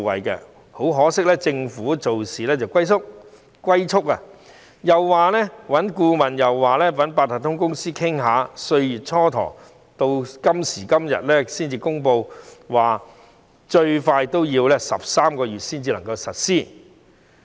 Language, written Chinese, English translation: Cantonese, 但很可惜，政府做事龜速，又要找顧問，又要與八達通卡有限公司商討，蹉跎歲月，到今時今日才公布最快要13個月後才能實施此項措施。, However it is very unfortunate that the Government is slow to act . After spending a lot of time looking for a consultant and discussing with the Octopus Cards Limited it is not until now that the Government announces that the soonest possible time for implementing this measure is 13 months later